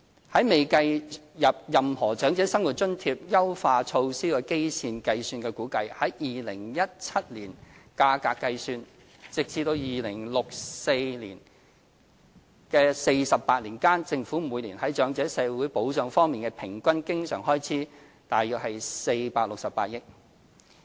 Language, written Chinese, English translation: Cantonese, 在未計入任何長者生活津貼優化措施的基線情況下估算，以2017年價格計算，直至2064年的48年間，政府每年在長者社會保障方面的平均經常開支約為468億元。, Considering the baseline scenario before any OALA enhancement measures an estimation based on 2017 price level indicates that the Government will on average spend an annual recurrent expense of around 46.8 billion on elderly social security in the 48 years up to 2064